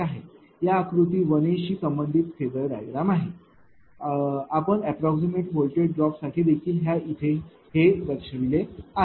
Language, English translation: Marathi, So, corresponding to this diagram figure a this diagram this is the phasor diagram we have seen also for approximate voltage drop this thing